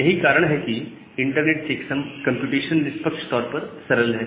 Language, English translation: Hindi, So that is why this internet checksum computation is fairly simple